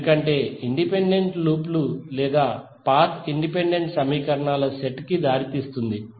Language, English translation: Telugu, Because independent loops or path result in independent set of equations